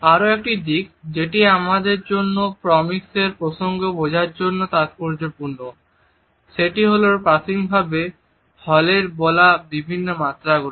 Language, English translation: Bengali, Another aspect which is significant for us to understand in the context of proxemics is the different dimensions which initially Hall had talked about